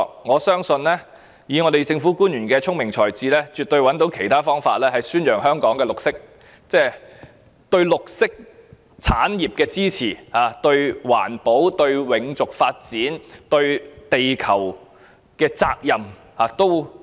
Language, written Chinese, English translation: Cantonese, 我相信以政府官員的聰明才智，絕對找到其他方法宣揚香港對綠色產業的支持，並彰顯政府對環保、永續發展及地球所負的責任。, I believe public officers with their wisdom and intelligence will absolutely be able to find other ways to promote Hong Kongs support for the green industry and manifest the Governments commitment to environmental protection sustainable development and the earth